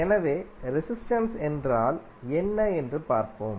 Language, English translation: Tamil, So, let see what see what is resistance